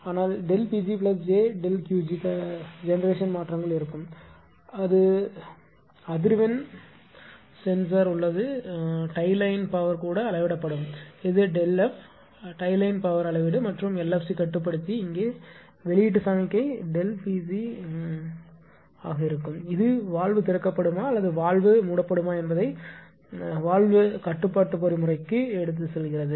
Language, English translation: Tamil, So, delta pg plus delta Qg generation changes will be there and this is a here it will says the frequency frequency sensor is there tie line power also will be measured this is delta F tie line power will be measure and LFC controller will be here and output signal will be delta pc and the it will go this will go to the valve control mechanism whether valve will be open or valve will be closed right